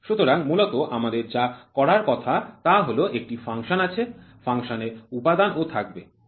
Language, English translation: Bengali, So, basically what are we supposed to do is there is a function, function element will be there, right